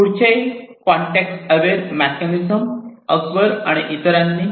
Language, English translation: Marathi, And this particular mechanism was proposed by Akbar et al